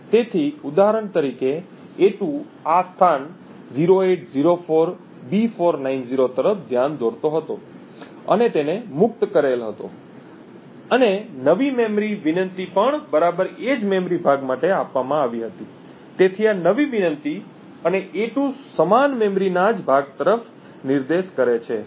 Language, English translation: Gujarati, So, for example a2 was pointing to this location 0804B490 and it was freed and the new memory request was also given exactly the same memory chunk therefore this new request and a2 point to the same chunk of memory, thank you